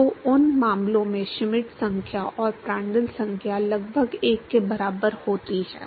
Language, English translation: Hindi, So, in those cases the Schmidt number and Prandtl number are almost equal to 1